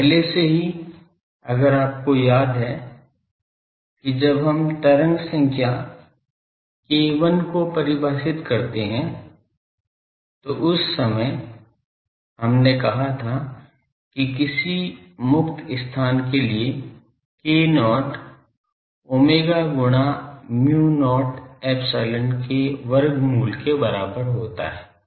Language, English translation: Hindi, And already if you recall that when we define the wave number k 1 that time we have said k not is equal to omega into square root of mu not mu epsilon may for free space